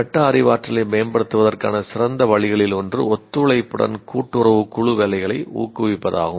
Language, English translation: Tamil, One of the best ways to improve metacognition is encouraging cooperative group work